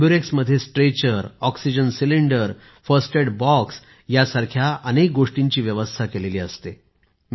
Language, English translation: Marathi, An AmbuRx is equipped with a Stretcher, Oxygen Cylinder, First Aid Box and other things